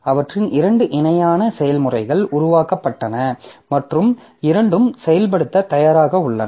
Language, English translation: Tamil, So, as they are two parallel processes that have been created and both are ready for execution